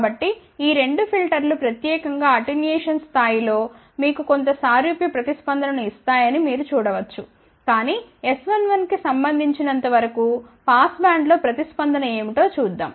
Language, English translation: Telugu, So, you can see that these two filters will give you somewhat similar response specially at the attenuation level, but let us see what is the response in the passband as for as the S 1 1 are concerned, ok